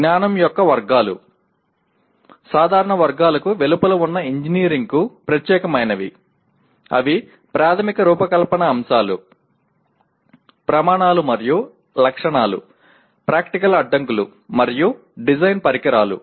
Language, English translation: Telugu, Categories of knowledge specific to engineering which are outside the general categories, they are Fundamental Design Concepts, Criteria and Specifications, Practical Constrains and Design Instrumentalities